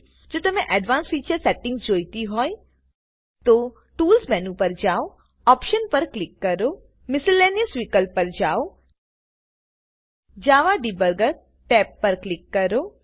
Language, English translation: Gujarati, If you want any advanced feature settings, you can Go to Tools menu, click on Options, go to Miscellaneous option, click on the Java Debugger tab